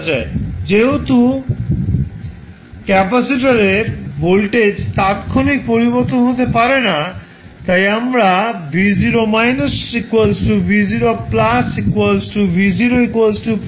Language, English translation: Bengali, Now, since the capacitor voltage cannot change instantaneously we can say v0 minus is nothing but v0 plus or v0 that is 15 volts